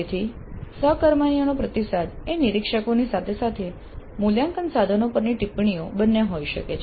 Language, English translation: Gujarati, So the peer feedback can be both from observers as well as comments on assessment instruments